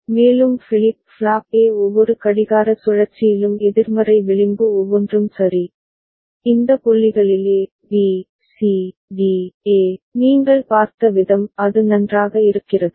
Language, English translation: Tamil, And the flip flop A is toggling in each of the negative edge in each clock cycle right, at these points a, b, c, d, e, the way you have seen it is it fine